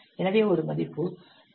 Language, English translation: Tamil, So value of H 2